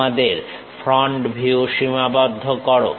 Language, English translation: Bengali, Enclose your front view